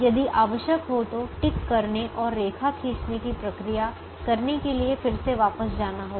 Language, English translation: Hindi, if required, go back again to do the ticking and line drawing procedure